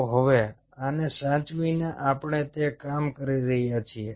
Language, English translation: Gujarati, so now, having saved this, why are we doing it